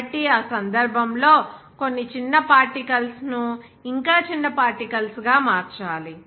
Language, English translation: Telugu, So, in that case, some small particles are to be converted into smaller particles